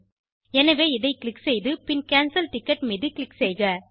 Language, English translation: Tamil, So lets click this and then cancel the ticket